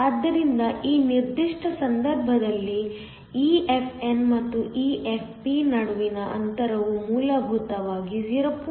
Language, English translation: Kannada, So, In this particular case, the distance between EFn and EFp is essentially 0